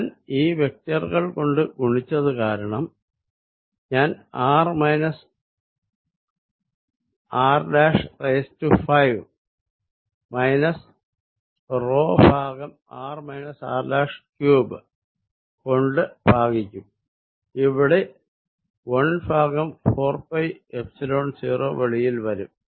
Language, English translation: Malayalam, Since, I have multiplied by the vectors I will divide by r minus r prime raise to 5 minus p over r minus r prime cubed of course, there is a 1 over 4 pi Epsilon 0 outside